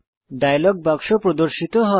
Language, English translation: Bengali, The Write dialog box appears